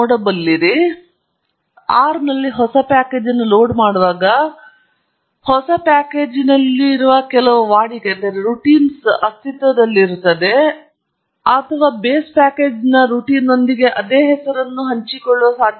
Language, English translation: Kannada, Now, when I load a new package in R, always there is a possibility that some of the routines in the new package share the same name with the routines in the existing or the base package